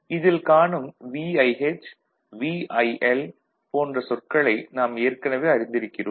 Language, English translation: Tamil, So, we are already familiar with the terms like VIH, VIL and so on